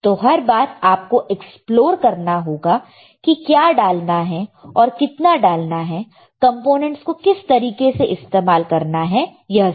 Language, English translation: Hindi, So, every time when you have to do you have to explore, what to add what not to add how to use the components, right